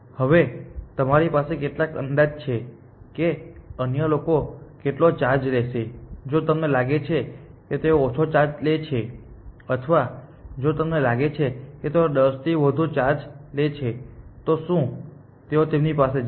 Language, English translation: Gujarati, Now, there you have some estimate of how much the other people will charge, will they will you go to them if you think they charge less or will you go to them if you think they charge more than 10000